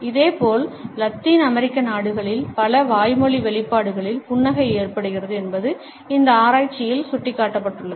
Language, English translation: Tamil, Similarly, it has been pointed out in this research that in Latin American countries a smiles take place of many verbal expressions